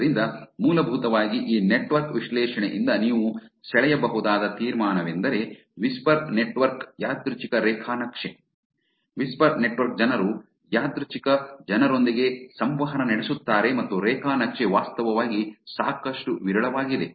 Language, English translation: Kannada, So, essentially the conclusion from this network analysis that you can draw is that whisper network is a random graph, whisper network people actually interact with the random people and the graph is actually pretty sparse